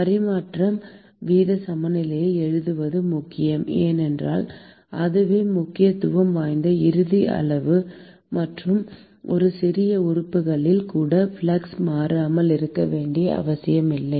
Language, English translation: Tamil, It is important to write transfer rate balance because that is the final quantity that is of importance and the flux need not necessarily remain constant even in a small element